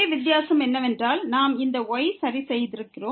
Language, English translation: Tamil, The only difference is that because we have fixed this